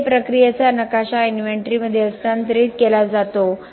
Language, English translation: Marathi, There the the process map is transferred to an inventory